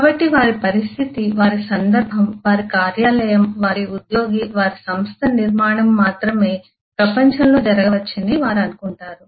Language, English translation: Telugu, so they will think that their situation, their context, their office, their employee, their organisation structure is the only one of the kind that can happen in the world